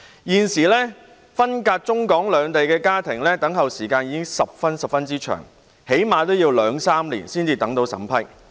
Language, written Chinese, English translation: Cantonese, 現時分隔中港兩地的家庭等候來港的時間已經十分長，最低限度要兩三年才獲審批。, At present families split between Hong Kong and the Mainland already have to wait a very long time before coming to Hong Kong that is to say at least two to three years for approval